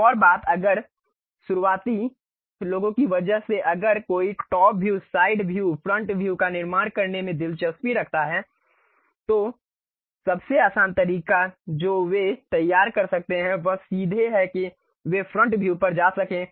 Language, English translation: Hindi, One more thing if because of beginners if one is interested in constructing top view, side view, front view, the easiest way what they can prepare is straight away they can go to front view